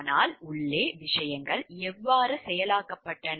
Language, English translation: Tamil, But, how things were processed inside